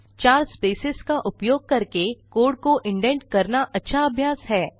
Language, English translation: Hindi, The best practice is to indent the code using four spaces